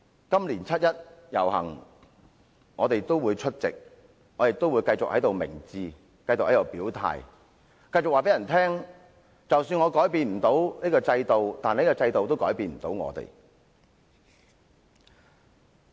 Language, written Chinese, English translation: Cantonese, 今年七一遊行，我們會繼續出席、表態、明志，繼續告訴大家，即使我們不能改變制度，但制度也改變不了我們。, We will continue to participate in the 1 July march this year to declare our stand and express our lofty ideals . We will continue to tell members of the public that even if we cannot change the system the system cannot change us either